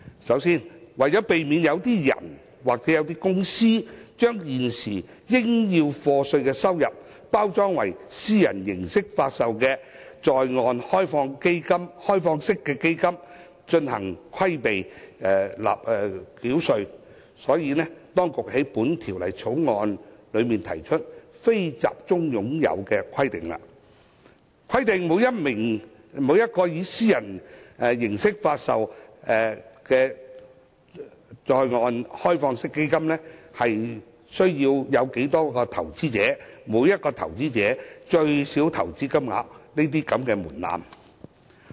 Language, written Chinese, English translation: Cantonese, 首先，為避免有個人或公司把現時須課稅的收入，包裝為以私人形式發售的在岸開放式基金以避稅，當局在《條例草案》中提出"非集中擁有"的規定，規定每一個以私人形式發售的在岸開放式基金的投資者數目及每名投資者的最低投資金額等門檻。, First to prevent individual or corporate investors from repackaging their current taxable income into onshore privately offered open - ended funds to avoid tax the authorities have put forward the NCH condition in the Bill setting out the threshold in respect of the number of investors and the minimum investment amount of each investor etc for every onshore privately offered open - ended fund